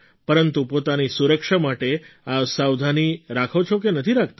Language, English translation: Gujarati, But for your own safety also, do you take precautions or not